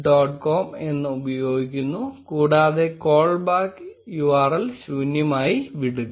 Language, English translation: Malayalam, com, and leave the callback URL blank